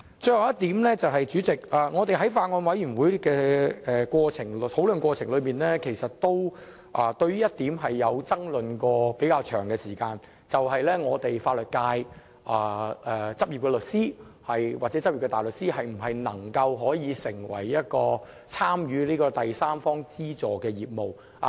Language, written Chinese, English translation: Cantonese, 最後一點，代理主席，在法案委員會討論的過程中，有一點出現了比較長時間的爭論，便是法律界執業律師或大律師能否參與第三方資助的業務。, Lastly Deputy President during the discussions at the Bills Committee there was a relatively long debate over the following point that is whether or not practicing lawyers and barristers in the legal sector should be allowed to engage in third party funding business